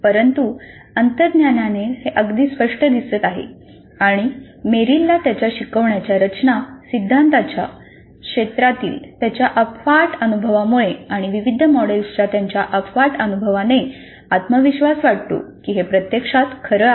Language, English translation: Marathi, We do not have too much of empirical evidence to support this but intuitively it looks fairly clear and Merrill with this vast experience in the field of instructional design theory and with his vast experience with various models feels confident that by and large this is true